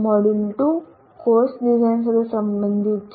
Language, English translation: Gujarati, Module 2 is related to course design